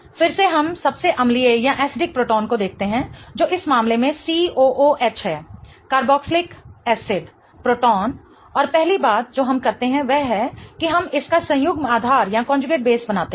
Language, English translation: Hindi, Again we look at the most acidic proton which is going to be in this case the C double bond OH the carboxylic acid proton and the first thing we do is we draw its conjugate base